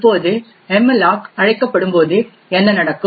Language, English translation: Tamil, Now what could happen when malloc gets invoked over here